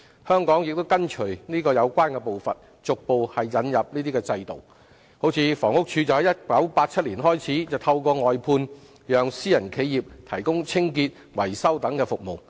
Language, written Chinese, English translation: Cantonese, 香港亦跟隨有關步伐，逐步引入這種制度，如房屋署在1987年開始透過外判讓私人企業提供清潔、維修等服務。, Hong Kong has also followed suit and gradually introduced such a system . For example in 1987 the Housing Department started to engage private enterprises to provide such services as cleaning and maintenance through outsourcing